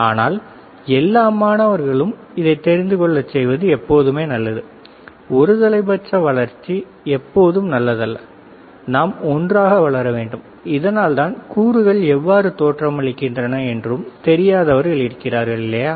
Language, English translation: Tamil, But it is always good to take all the students together, unidirectional growth is not good we should grow together, and that is why people who do not know how components looks like, right